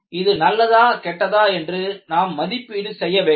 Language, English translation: Tamil, You have to assess whether it is healthy or not